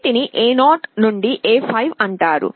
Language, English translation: Telugu, These are called A0 to A5